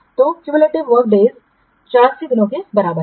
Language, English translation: Hindi, So cumulative work days is equal to 84 days